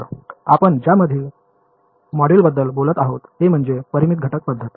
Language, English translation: Marathi, So the next module that we will talk about is the Finite Element Method ok